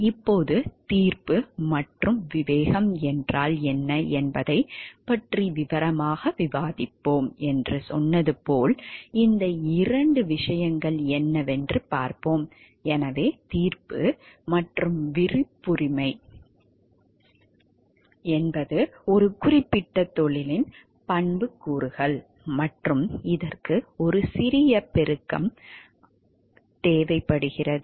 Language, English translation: Tamil, Now, as we told we will discuss about what is judgment and discretion in details, let us see what are these two things so, the word judgment and discretion are attributes of a particular profession and, which requires a little amplification